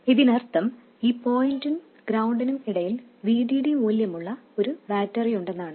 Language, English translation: Malayalam, It means that there is a battery of value VD between this point and ground